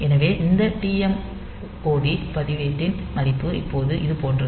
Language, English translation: Tamil, So, this TMOD register value is like this now